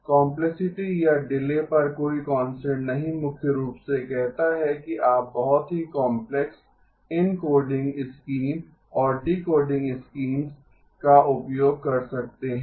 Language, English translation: Hindi, No constraint on complexity or delay primarily says you can use very complex encoding schemes and decoding schemes okay